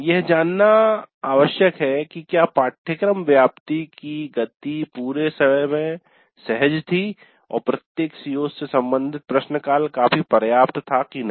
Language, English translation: Hindi, So it is essential to know whether the pace of coverage was comfortable throughout and the related question, time devoted to each COO was quite adequate